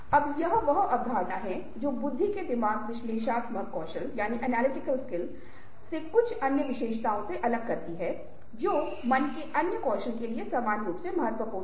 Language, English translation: Hindi, now this is the concept which differentiates intelligence from certain other attributes, ah, from analytical skills of the mind to other skills of the mind which are equally important